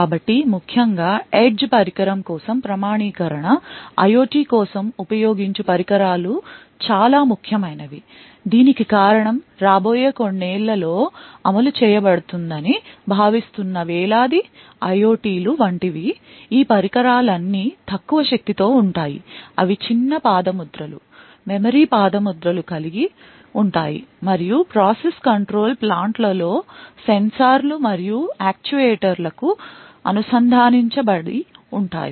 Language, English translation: Telugu, So, authentication especially for edge device, devices like which I use for IOT is extremely important, the reason being that there are like thousands of IOTs that are expected to be deployed in the next few years, all of these devices are low powered, they have small footprints, memory footprints and quite often connected to sensors and actuators in process control plants